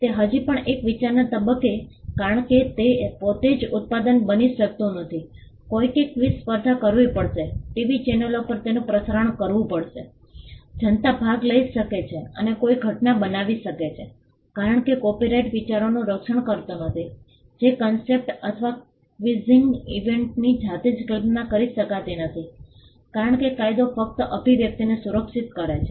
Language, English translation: Gujarati, It is still in the stage of an idea because that itself cannot be a product, somebody will have to conduct a quiz competition, broadcast it over the TV channels, make means by which the public can participate and make it into a event; because copyright does not protect ideas if the concept or the idea of a quizzing event in itself cannot be protected because, the law protects only the expression